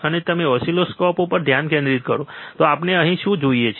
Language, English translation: Gujarati, So, we if you focus on oscilloscope what we see here